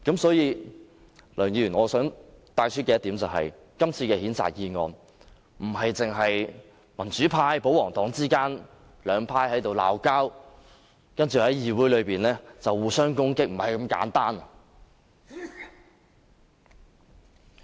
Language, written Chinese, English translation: Cantonese, 所以，梁議員，我想帶出一點，今次的譴責議案，不單是民主派與保皇黨之間的爭拗、在議會內互相攻擊，並非如此簡單。, Hence Mr LEUNG I wish to bring out one point and that is this censure motion is not simply an argument between the pro - democracy camp and the royalist camp nor is it a mutual attack between the two camps in this Council